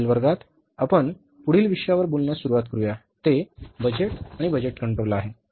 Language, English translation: Marathi, In the next class, we will start talking about the next topic that is the budgets and the budgetary control